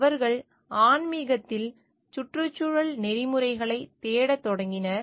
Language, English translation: Tamil, The started their search for environmental ethics in spirituality